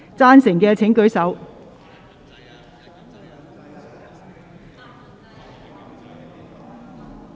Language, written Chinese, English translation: Cantonese, 贊成的請舉手......, Will those in favour please raise